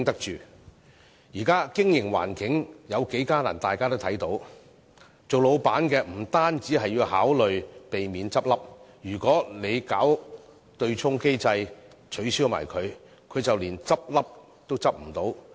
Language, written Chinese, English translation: Cantonese, 現時的經營環境有多艱難，大家都看得到，老闆不止要考慮避免結業，如果取消對沖機制，他便連結業都不能。, Members should be able to see the difficulty experienced in the current business environment . Not only must proprietors consider how to avoid folding up their businesses but they cannot even resort to winding up should the offsetting mechanism be abolished